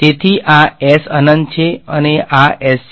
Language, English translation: Gujarati, So, this is S infinity and this is S